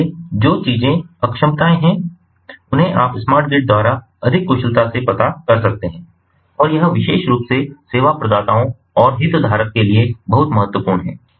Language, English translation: Hindi, so those things, those inefficiencies, can be, ah you know, more efficiently addressed ah ah by ah ah ah the smart grid, and that is very ah important ah, particularly for the stake holder, the service providers ah, and so on